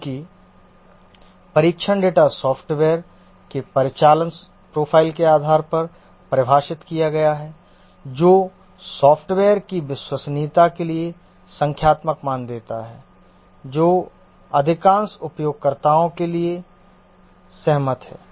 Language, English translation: Hindi, Since the test data is defined based on the operational profile of the software, this gives a numerical value for the reliability of the software which is agreeable to most users